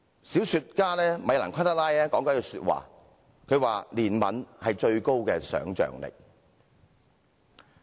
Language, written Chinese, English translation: Cantonese, 小說家米蘭.昆德拉說過："憐憫是最高的想象力。, The novelist Milan KUNDERA has once said that compassion signifies the maximal capacity of affective imagination